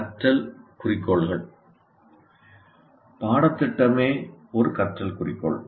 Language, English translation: Tamil, Learning goals can be, what do you call, the curriculum itself is a learning goal